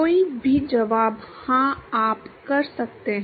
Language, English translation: Hindi, Any answer is yes you can